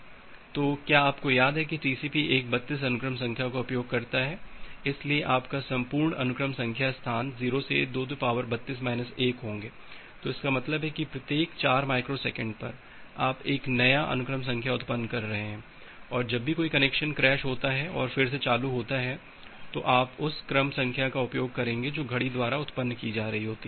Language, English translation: Hindi, So, you remember that TCP uses a 32 sequence number, so your entire sequence number space is 0 to 2 to the power 32 to minus 1; so that means, at every 4 microseconds you are generating a new sequence number and whenever a connection crashes and get restarted then you will use the sequence number which is being generated by the clock